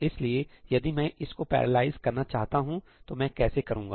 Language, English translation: Hindi, So, if I want to parallelize this, how do I do that